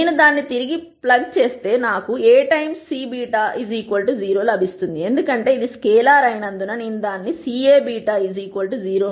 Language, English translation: Telugu, Then if I plug it back in I will get A times C beta equal to 0 which because this is scalar I can take it out C A beta equal to 0